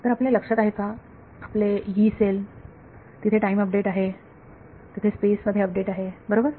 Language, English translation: Marathi, So, you remember your Yee cell there is an update in time, there is an update in space right